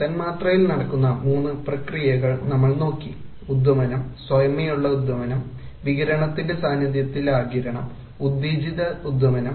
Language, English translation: Malayalam, We looked at three things namely the three processes that take place in a molecule called emission, spontaneous emission, absorption in the presence of radiation and stimulated emission